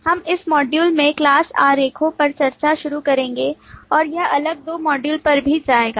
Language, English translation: Hindi, We will, in this module, start the discussion on class diagrams and this will go over to the next two modules as well